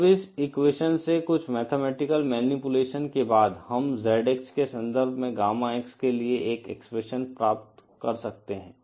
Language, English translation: Hindi, Now from this equation, after some mathematical manipulation we can find out an expression for Gamma X in terms of ZX